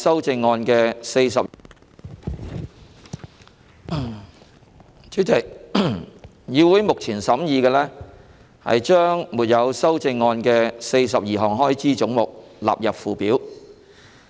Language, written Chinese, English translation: Cantonese, 主席，議會目前審議將沒有修正案的42項開支總目的款額納入附表。, Chairman the Council is now considering the question that the sums for the 42 heads with no amendment stand part of the Schedule